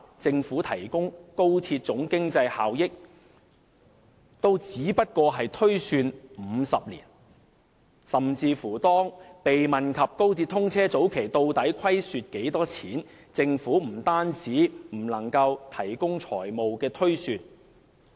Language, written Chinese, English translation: Cantonese, 政府提供的高鐵總經濟效益也只是推算了50年，甚至當被問及高鐵通車早期究竟會虧損多少時，政府也不能提供財務推算。, Even the Government can only provide the projected economic benefits of XRL for as long as 50 years . Neither can it project the loss to be incurred by the express rail link during its initial operation when asked about such a figure